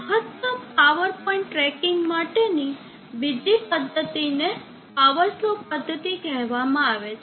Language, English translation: Gujarati, Another method for maximum power point tracking is called the power slope method